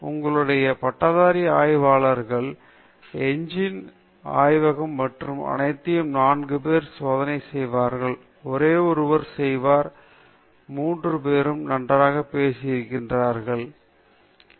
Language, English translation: Tamil, In your, under graduate lab, the engines lab and all that, four people will do the experiment; only one fellow will do; all other three fellows will be chatting okay; only that fellow will know that in the Kirloskar engine where is On Off switch